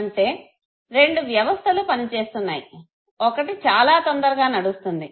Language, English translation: Telugu, That means that two systems are working, one which basically moves very fast, okay